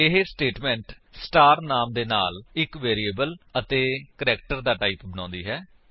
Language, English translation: Punjabi, This statement creates a variable with the name star and of the type char